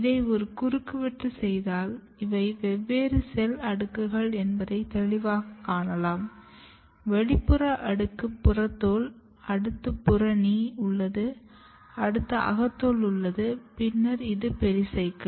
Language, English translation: Tamil, And if you make a cross sections, so you can clearly see that these are the different cell layers, the outermost layer is epidermis, then you have a layer of cortex, then you have endodermis, then this is pericycle